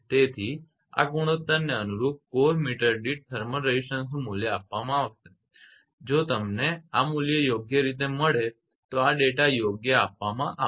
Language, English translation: Gujarati, So, thermal resistance per core meter corresponding to this ratio this value will be given if you get this value correctly then this data will be given right